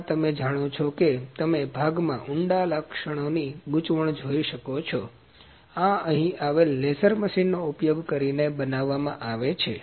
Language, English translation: Gujarati, This you know you can see the complication of the deep features in the part, this is manufactured using the laser machine that is here